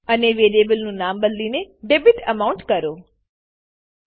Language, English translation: Gujarati, And change variable name into debitAmount